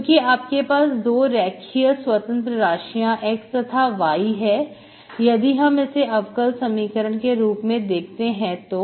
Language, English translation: Hindi, Because you have 2 linearly independent variables x and y, if I view this as a differential equation